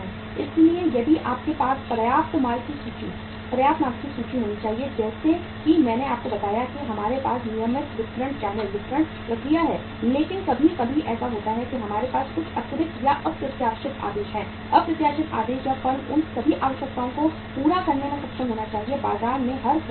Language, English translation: Hindi, So if you have to have sufficient finished goods inventory also as I told you that we have the regular distribution channels, distribution process but sometimes what happens that we have some extra or unforeseen orders, unexpected orders and firm should be able to meet all those requirements of every buyer in the market